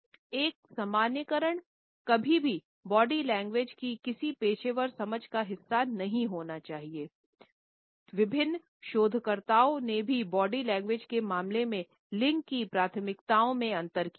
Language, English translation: Hindi, These generalizations should never be a part of any professional understanding of body language there have been various researchers also in which differences in gender preferences in terms of body language have been committed on